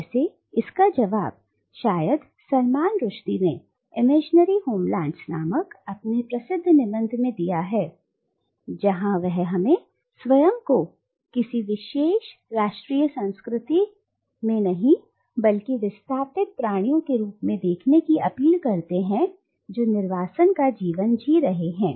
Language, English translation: Hindi, Well the answer is perhaps best given by Salman Rushdie in his celebrated essay titled “Imaginary Homelands” where he urges us to look at ourselves not as grounded in any particular national culture but as displaced beings who are living the life of an exile